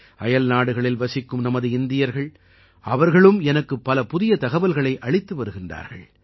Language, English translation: Tamil, And there are people from our Indian community living abroad, who keep providing me with much new information